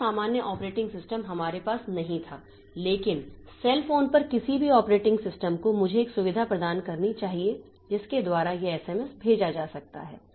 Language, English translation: Hindi, So, normal operating systems we did not have that but any operating system on a cell phone must provide me a facility by which this SMS can be sent